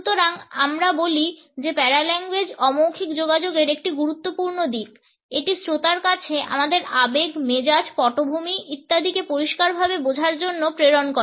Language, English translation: Bengali, So, we say that paralanguage is an important aspect of nonverbal communication, it passes on a clear understanding of our emotions, moods, background etcetera to the listener